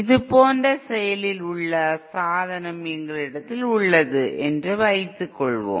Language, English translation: Tamil, And suppose we have an active device like this